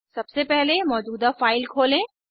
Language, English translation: Hindi, Lets first open an existing file